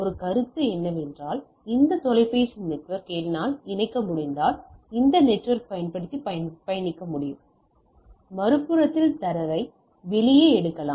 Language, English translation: Tamil, So, our one consideration that if I can hook this telephone network then I can travel using this network and then at the other end get the data out of it right